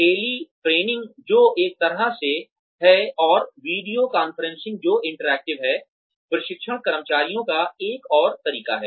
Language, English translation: Hindi, Teletraining, which is one way and, video conferencing, which is interactive, is another way of training employees